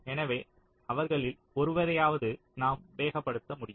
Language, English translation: Tamil, so at least one of them were able to speed up, right